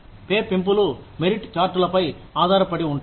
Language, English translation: Telugu, Pay raises are dependent on, merit charts